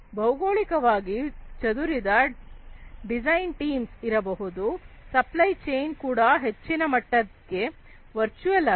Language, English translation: Kannada, There could be geographically dispersed design teams supply chain itself has been made virtual to a large extent